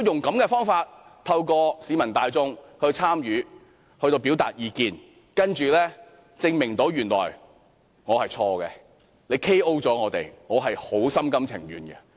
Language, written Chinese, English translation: Cantonese, 如果政府透過市民大眾參與並表達意見的方法來證明我是錯誤的，政府 "KO" 我們，我心甘情願。, If the Government can prove me wrong through inviting public participation and public views and defeat our argument totally in the end I will eat my words